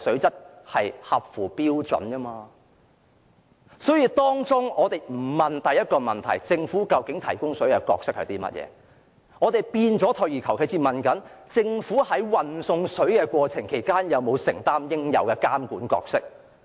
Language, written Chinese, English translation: Cantonese, 大家不關心第一個問題，不關心政府在提供食水方面的角色為何，反而退而求其次只關注政府在運送食水的過程中有否履行應有的監管角色。, Now our discussion is not about the most important question that is what role the Government should take in maintaining water supply but step backward to discuss about whether the Government has performed its role of monitoring the process of transferring water properly . You are letting the Government get away with it